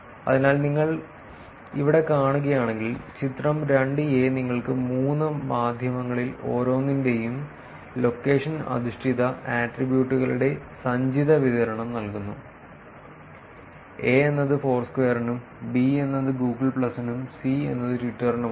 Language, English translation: Malayalam, So, if you see here, the figure 2 is giving you the cumulative distribution of location based attributes in each of the three media; a is for Foursquare, b is for Google plus and c is for Twitter